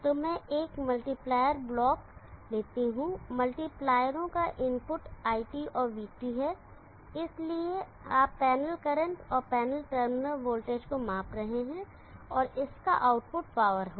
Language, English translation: Hindi, So let me have a multiplier block, the input of the multipliers are IT and VT, so you are measuring the panel current and the panel terminal voltage, and the output of that would be the power